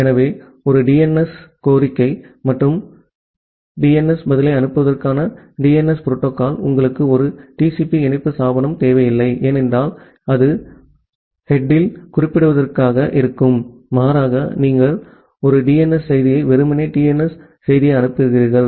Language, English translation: Tamil, So the DNS protocol for sending a DNS request and the DNS response, you do not require a TCP connection establishment, because that is going to be a significant over head rather you just send a DNS simply the DNS message